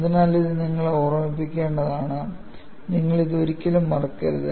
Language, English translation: Malayalam, So, this, you will have to keep in mind;, you should never forget this;